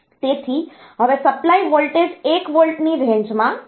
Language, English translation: Gujarati, So, now, the supply voltage is in the range of 1 volt